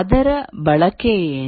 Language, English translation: Kannada, What will be its use